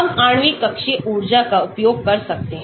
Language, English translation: Hindi, We can use molecular orbital energies